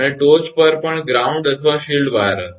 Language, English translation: Gujarati, And on the top also ground or shield wire will be there